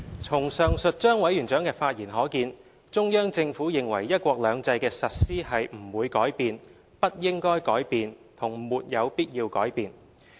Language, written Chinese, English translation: Cantonese, "從上述張委員長的發言可見，中央政府認為"一國兩制"的實施是不會改變、不應該改變和沒有必要改變的。, End of quote As seen from Chairman ZHANGs remarks the Central Government is of the view that the implementation of one country two systems would not should not and need not be changed